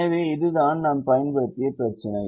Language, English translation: Tamil, so this is the problem that we have used